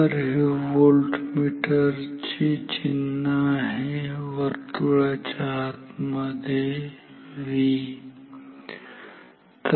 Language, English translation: Marathi, So, this is the symbol of a voltmeter V inside a circle